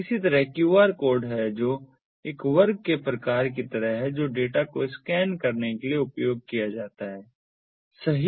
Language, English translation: Hindi, similarly, there is the qr code, which is sort of like a that square, square kind of thing which is used for scanning the data, right